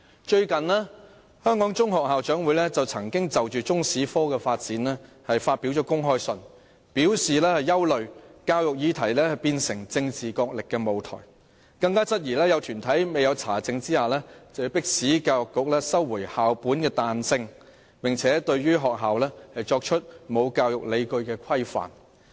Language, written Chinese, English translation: Cantonese, 最近，香港中學校長會曾就中史科的發展發表公開信，表示憂慮教育議題變成政治角力的舞台，更質疑有團體未經查證便迫使教育局不准許學校作彈性安排，並對學校作出沒有教育理據的規範。, Recently the Hong Kong Association of the Heads of Secondary Schools issued an open letter on the development of Chinese History expressing concern that the education matter would turn into a platform for political struggle the Association also queried that some bodies have before verifying the facts forced the Education Bureau to disallow schools to make flexible arrangements and have imposed on schools some rules that lack educational justifications